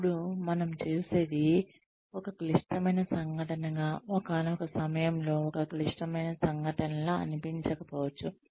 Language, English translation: Telugu, Now, what we see, as a critical incident, at one point, may not seem like a critical incident, at another point